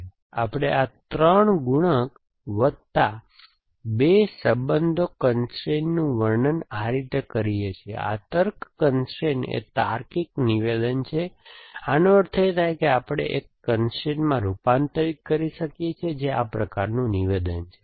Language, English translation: Gujarati, So, by we, so we describe these 3 multipliers plus 2 addressing constraint like this, this is the logic constraint is the logical statement, this implies this essentially we can converted in to a constraint which this being a statement some sort